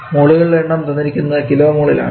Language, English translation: Malayalam, There is the mass by unit mole so it will be equal to kg per kilo mole